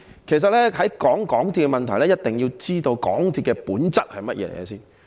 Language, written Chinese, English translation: Cantonese, 其實，在談論港鐵的問題前，一定要知道港鐵的本質為何。, In fact before talking about the problems with MTRCL we have to understand the nature of MTRCL